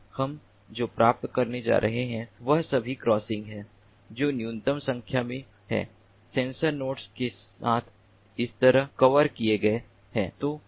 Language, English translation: Hindi, so what we are going to get is all the crossings getting covered, like this, with a minimum number of sensor nodes